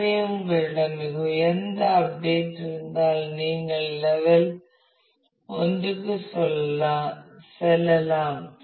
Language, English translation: Tamil, So, if you have very high update you go for level one rate